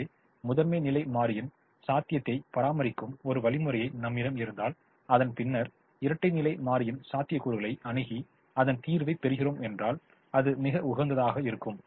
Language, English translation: Tamil, so we, if we have an algorithm that maintains primal feasibility and then approaches dual feasibility and gets it, then it is optimum